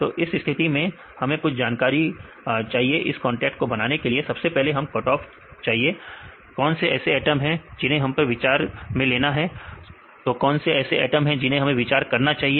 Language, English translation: Hindi, So, in this case we require some information is to make this contact first we need to a cut off which atoms we need to consider, which atom we usually consider